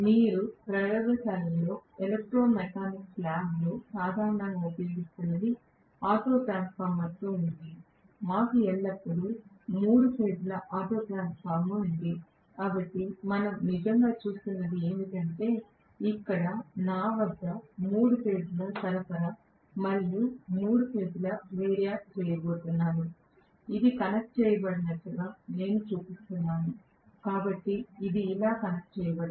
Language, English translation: Telugu, Which you used in the laboratory, in electro mechanics lab generally what we were using is with an auto transformer, we always had a three phase auto transformer, so what we are actually looking at is, here is the three phase supply that I have and I am going to have three phase variac, I am showing it as though it is start connected, so this is how it is connected right